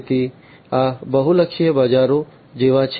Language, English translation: Gujarati, So, these are like multi sided markets